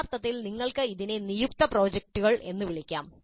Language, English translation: Malayalam, Actually you can call this assigned projects